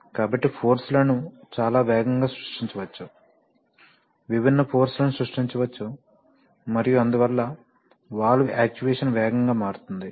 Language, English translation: Telugu, So therefore, forces can be created very fast, varying forces can be created and therefore the valve actuation becomes fast